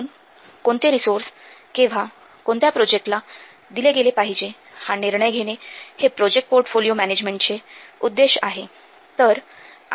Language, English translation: Marathi, So project portfolio management, MSSART deciding which resource will be given when and to which project